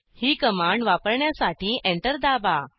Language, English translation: Marathi, Lets try this command so press Enter